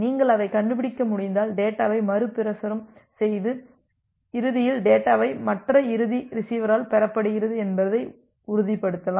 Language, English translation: Tamil, If you are able to find it out, then retransmit the data to make sure that eventually the data is received by the other end receiver